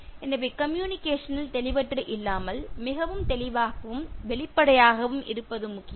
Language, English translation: Tamil, So that is important in terms of communication not being ambiguous and but being very clear and transparent